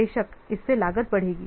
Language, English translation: Hindi, So this may also add some cost